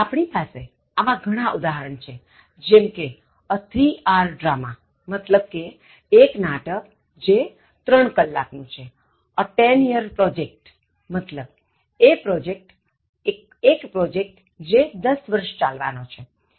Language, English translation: Gujarati, We have plenty of other examples like, a three hour drama which means a drama that lasted for three hours, a ten year project again it implies a project that will last for ten years